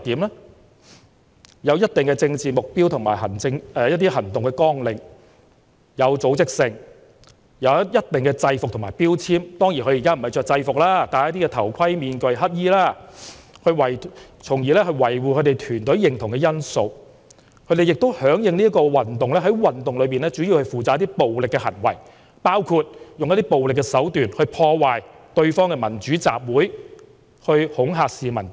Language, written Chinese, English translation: Cantonese, 他們有一定的政治目標和行動綱領、有組織、有制服和標籤，當然他們現在穿的不是制服，而是戴頭盔、面具和黑衣，從而維護團隊認同的因素；他們響應運動，在運動中主要負責進行一些暴力行為，包括使用暴力手段，破壞對方的民主集會，以及恐嚇市民等。, They are organized have uniforms and identification marks . Of course although what they wear are not exactly uniforms they wear helmets masks and black clothes which have become the symbols of their teams that they can identify with . In the movement they are mainly responsible for carrying out violent acts including disrupting their rivals democratic assemblies with violence and threatening the public